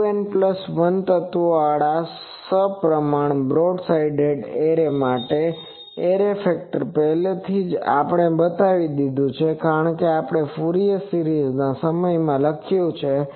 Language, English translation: Gujarati, For a symmetrical broad side array with 2 N plus 1 elements, the array factor already we have shown that it can be written like the Fourier series time we have written this